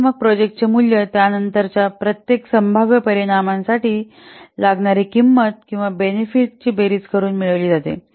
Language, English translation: Marathi, So the value of the project is then obtained by summing the cost or benefit for each possible outcome weighted by its corresponding probability